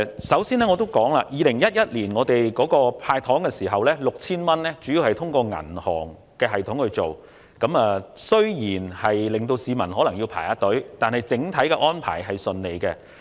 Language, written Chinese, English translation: Cantonese, 首先，政府於2011年向市民派發的 6,000 元，主要是透過銀行系統進行，雖然有部分市民須排隊領取，但整體安排是暢順的。, First of all the cash handout of 6,000 to the public by the Government in 2011 was mainly through the banking system and although some members of the public had to queue up to collect the money the overall arrangements were smooth